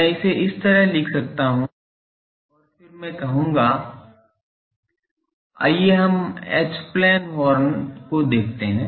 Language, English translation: Hindi, I can write like this and then I will say that let us look at H plane horn, H plane horn